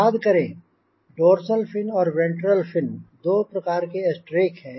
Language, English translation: Hindi, remember dorsal fin or ventral and ventral fin, two types of stracks we discussed yesterday